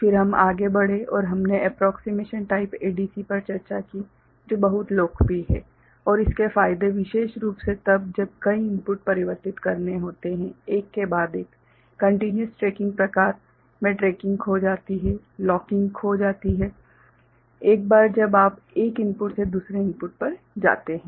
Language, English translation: Hindi, Then we moved on and we discussed accessing the approximation type ADC which is very popular and it has its advantages specially when multiple inputs are to be converted one after another; in the continuous tracking type the tracking gets lost, the locking get lost once you move from one input to another